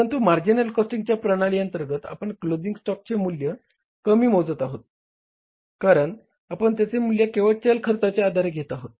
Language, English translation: Marathi, But under the marginal costing you are valuing the closing stock lesser because you are valuing it only on the variable cost